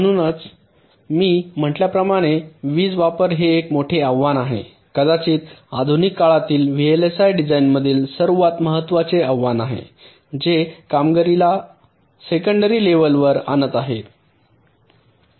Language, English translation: Marathi, so, as i said, power consumption is ah very big challenge, perhaps the most important challenge in modern day vlsi design, which is pushing performance to a secondary level